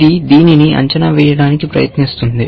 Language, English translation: Telugu, This one is trying to evaluate this